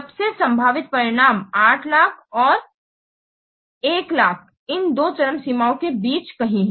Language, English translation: Hindi, So, the most likely outcome is somewhere in between these two extremes